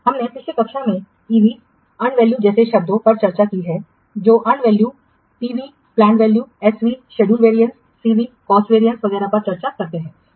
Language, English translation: Hindi, We have already last class discussed the terms like EV that earned value, PV plan value, SV, schedule variance, CV, cost variance, etc